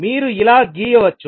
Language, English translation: Telugu, You can draw like this